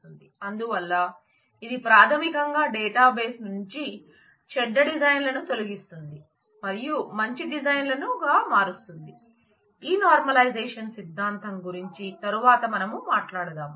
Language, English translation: Telugu, So, it basically removes bad designs from the database and converts them into good designs; we will talk about this normalization theory later in the course